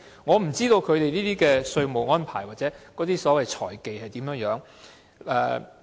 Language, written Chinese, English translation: Cantonese, 我不知道他們的稅務安排或所謂財技如何？, I have no idea about the taxation arrangements or the so - called financial techniques of these companies